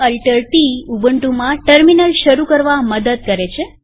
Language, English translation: Gujarati, Ctrl Alt t helps to start a terminal in ubuntu